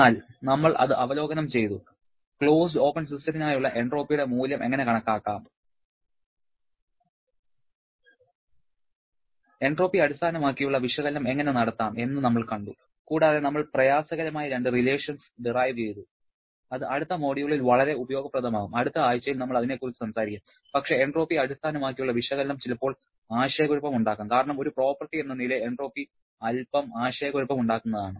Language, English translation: Malayalam, But we reviewed that, we have seen how to calculate the value of entropy for closed and open system, how to perform entropy based analysis and also we have derived couple of tedious relations which will be very useful in the next module that we are going to talk about in the next week but entropy based analysis sometimes can be quite confusing because entropy as a property itself is a bit confusing